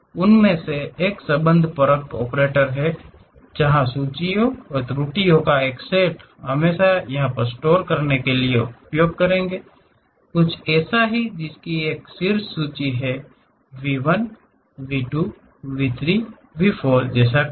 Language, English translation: Hindi, One of them is relational operators, where a set of lists and errors we will use it to store; something like what are the vertex list, something like V 1, V 2, V 3, V 4